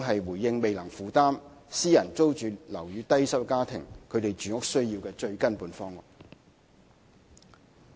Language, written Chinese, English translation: Cantonese, 對於未能負擔私人租住樓宇的低收入家庭，公屋始終是最根本的方案。, For low - income households who cannot afford private rental accommodation PRH remains the fundamental solution to their needs